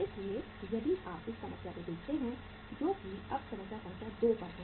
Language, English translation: Hindi, So if you look at his problem which is uh we are we are now at the problem number 2